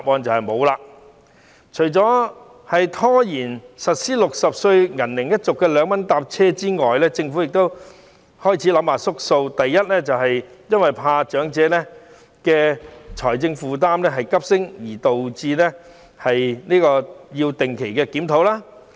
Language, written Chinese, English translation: Cantonese, 這除了是拖延實施60歲銀齡一族的2元乘車優惠措施外，政府亦開始退縮，可能是怕長者優惠措施令財政負擔急升而導致要定期檢討。, Apart from procrastinating the implementation of the 2 Scheme to the silver - age group between 60 and 64 years old the Government getting cold feet also calls for a regular review on it possibly for fear that this elderly concessionary measure will render the fiscal burden much heavier